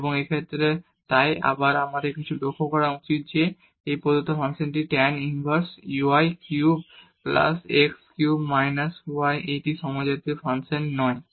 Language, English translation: Bengali, And in this case so, again, but we should note that this given function tan inverse y cube plus x cube over x minus y is not a homogeneous function